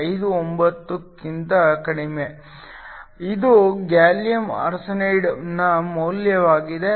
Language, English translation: Kannada, 59 which is the value of gallium arsenide